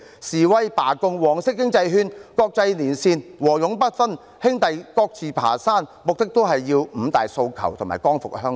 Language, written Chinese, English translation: Cantonese, 示威、罷工、黃色經濟圈、國際連線、和勇不分，兄弟各自爬山，目的都是爭取"五大訴求"和"光復香港"。, Demonstrations strikes the yellow economic circle international linkage refusal to sever ties fighting on each in our own way are all for the five demands and for liberating Hong Kong